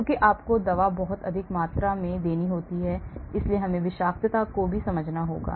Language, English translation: Hindi, Because you have to give the drug at very high concentration, so we need to understand toxicity as well